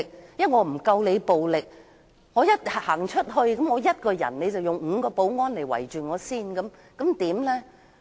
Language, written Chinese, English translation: Cantonese, 我不夠你暴力，我一個人走出來，你便會吩咐5個保安人員包圍我，我該怎麼辦？, I am not as violent as you are . If I alone walk out from my seat you will order five security officers to besiege me . What should I do?